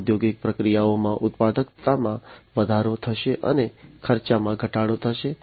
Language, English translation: Gujarati, So, there is going to be increased productivity in the industrial processes, and cost reduction